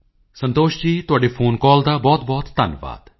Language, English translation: Punjabi, Santoshji, many many thanks for your phone call